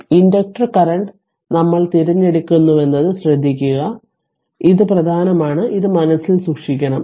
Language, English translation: Malayalam, So, now note that we select the inductor current this is important will should keep it in your mind